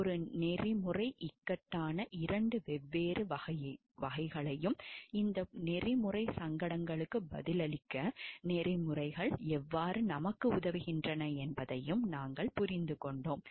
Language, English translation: Tamil, We have understood the 2 different types of a ethical dilemma and how codes of ethics help us to answer these ethical dilemma